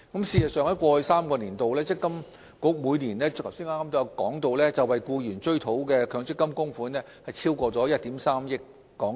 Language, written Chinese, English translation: Cantonese, 事實上，正如我剛才提到，積金局於過去3個年度，每年為僱員追討的強積金供款超過1億 3,000 萬港元。, In fact as I said earlier on MPFA has recovered over HK130 million in MPF contributions on behalf of employees in each of the past three years